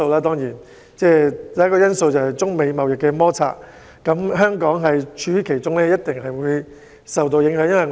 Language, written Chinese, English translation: Cantonese, 第一個因素是中美貿易摩擦，香港位處其中，一定會受到影響。, The first factor is the trade conflict between China and the United States . Caught in the midst of it Hong Kong has definitely been affected